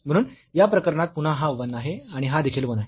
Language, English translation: Marathi, So, in this case again this is 1 and this is also 1